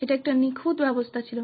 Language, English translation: Bengali, It was perfect system